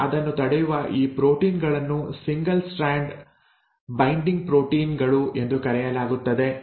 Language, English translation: Kannada, Now these proteins which prevent that are called as single strand binding proteins